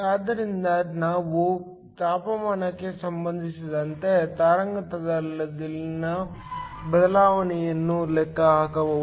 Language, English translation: Kannada, So, we can calculate the change in wavelength with respect to temperature